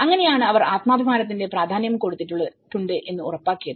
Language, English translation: Malayalam, And that is how the participation have ensured that they have taken the self esteem forward